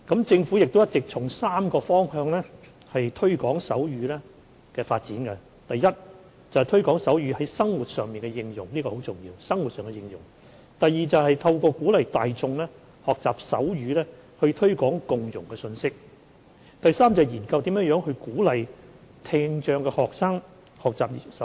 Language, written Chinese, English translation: Cantonese, 政府一直從3個方向推廣手語的發展，包括 ：a 推廣手語在生活上的應用，這很重要 ；b 透過鼓勵大眾學習手語以推廣共融的信息；及 c 研究如何鼓勵聽障學生學習手語。, The Government has all along adopted a three - pronged approach in the promotion of sign language including a promoting the use of sign language in daily life ; b promoting the message of inclusiveness by encouraging the public to learn sign language; and c exploring ways to promote the learning of sign language among students with hearing impairment